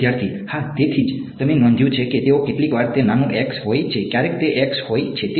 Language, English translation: Gujarati, Yeah, that is why you notice that they sometimes it is small x, sometimes it is capital X right